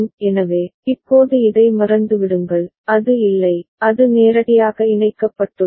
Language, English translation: Tamil, So, now forget about this one it is not there, it is directly connected